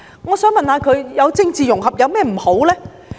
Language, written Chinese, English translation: Cantonese, "我想問問他們，政治融合有何不妥呢？, I wish to ask them what is wrong with political integration?